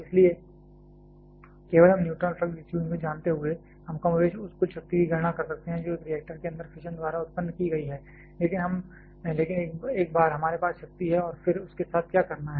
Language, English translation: Hindi, So, just we knowing the neutron flux distribution we can more or less calculate the total power that has been produced by fission inside a reactor, but once we have the power and then, what to do with that